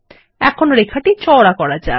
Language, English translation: Bengali, Now, lets make the line wider